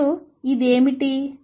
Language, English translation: Telugu, And what is this